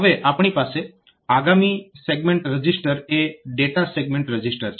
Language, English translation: Gujarati, So, so next register segment register that we have data is the data segment register